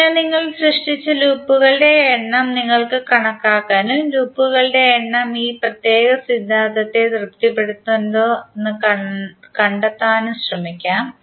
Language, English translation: Malayalam, So you can count number of loops which you have created and try to find out whether number of loops are satisfying this particular theorem or not